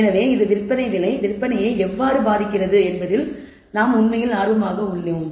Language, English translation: Tamil, So, you are really interested in how this selling price affects sales